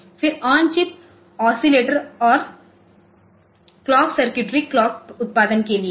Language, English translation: Hindi, Then there is on chip oscillator and clock circuitrys for clock generation